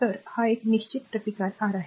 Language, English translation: Marathi, So, this is a fixed resistance R